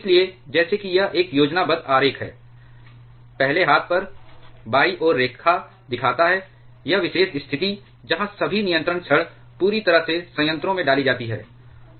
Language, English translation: Hindi, Therefore, just by, this is a schematic diagram, on the first hand, on the left hand side the diagram shows, this particular situation, where the all the control rods are completely inserted into the reactor